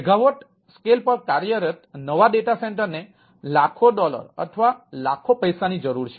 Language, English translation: Gujarati, the new data centers run on megawatt scale require millions of dollars or millions of a a money to operate